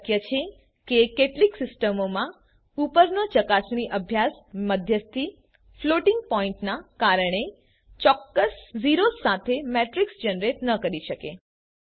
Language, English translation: Gujarati, It is possible that in some systems the above verification exercise may not yield a matrix with exact zeros as its elements due to intermediate floating point operations